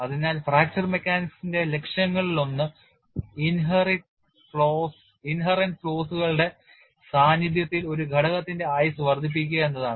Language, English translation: Malayalam, So, one of the goals of fracture mechanics is to extend the life of a component in the presence of inherent flaws